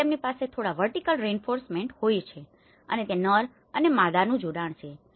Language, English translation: Gujarati, So, they can have some vertical reinforcement, there is a male and female coupling of it